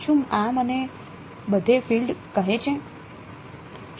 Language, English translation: Gujarati, Does this tell me the field everywhere